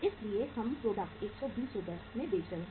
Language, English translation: Hindi, So we are selling the product at 120 Rs